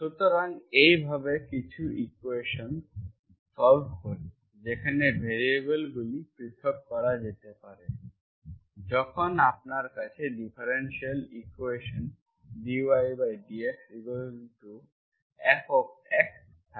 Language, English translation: Bengali, So this is how we solve some equations which are, which can be separated when the variables are separated, when you have differential equation dy by dx equals to F of x, y